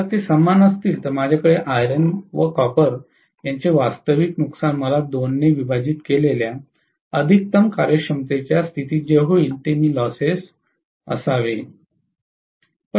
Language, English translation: Marathi, If they are equal I should have the total loses whatever occurs at maximum efficiency condition divided by 2 will give me the actual losses of iron and copper